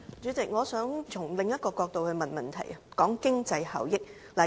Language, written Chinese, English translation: Cantonese, 主席，我想從另一個角度提出補充質詢，談一談經濟效益。, President I wish to ask a supplementary question from another perspective to discuss cost - effectiveness